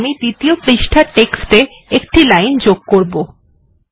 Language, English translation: Bengali, Now what we will do is, we went to the second page, now lets add a line to the text